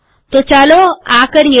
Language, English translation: Gujarati, So lets do this